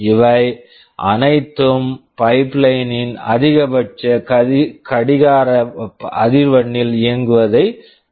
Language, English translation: Tamil, All of these prevent the pipeline from operating at the maximum clock frequency